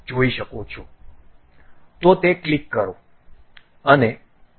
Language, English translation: Gujarati, So, click that and ok